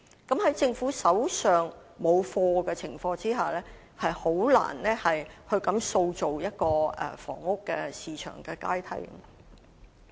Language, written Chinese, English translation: Cantonese, 在政府手上沒有"貨源"的情況下，實在難以塑造房屋市場的階梯。, Given the shortage of supply on the part of the Government it is indeed difficult to create a ladder for the housing market